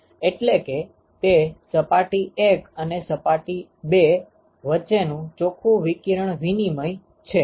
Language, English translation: Gujarati, So, this is the net radiation exchange with respect to surface 1 right